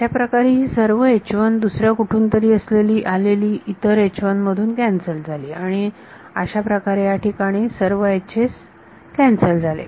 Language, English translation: Marathi, That is how these all is H 1 got cancelled from another H 1 from somewhere else and so on, all the H s got cancelled over there